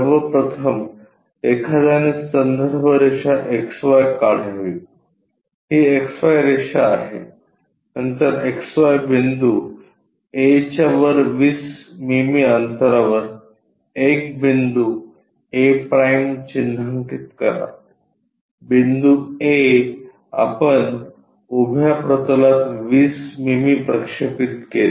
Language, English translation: Marathi, First of all one has to draw a reference line XY this is the XY line, then mark a point a’ at a distance 20 mm above XY point a we projected on to vertical plane 20 mm